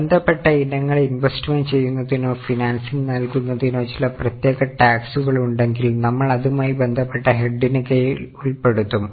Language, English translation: Malayalam, If there are some specific taxes on investing or financing related items, we will show it under the respective head